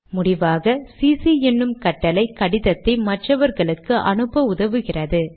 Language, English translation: Tamil, Finally, the command cc helps mark this letter to other recipients